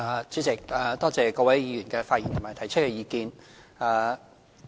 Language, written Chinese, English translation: Cantonese, 主席，多謝各位議員的發言和提出的意見。, President I thank Honourable Members for their speeches and suggestions